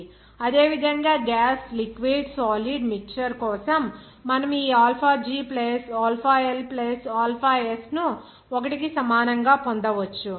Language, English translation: Telugu, For similarly, gas liquid solid mixture, you can get this alpha G + alpha L + alpha S that will be equal to 1